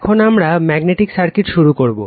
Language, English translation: Bengali, Now, we will start Magnetic Circuits right